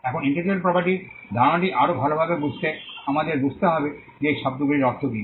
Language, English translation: Bengali, Now for us to understand the concept of intellectual property better we need to understand what these words stand for